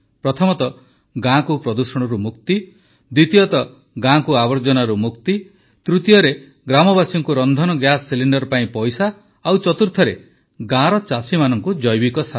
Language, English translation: Odia, One, the village is freed from pollution; the second is that the village is freed from filth, the third is that the money for the LPG cylinder goes to the villagers and the fourth is that the farmers of the village get bio fertilizer